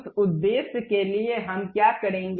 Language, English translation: Hindi, For that purpose what we will do